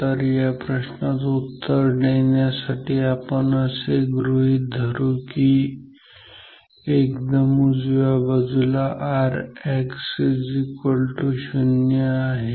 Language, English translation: Marathi, So, to answer this question so, we will assume that the right side the extreme right side indicates R X equal to 0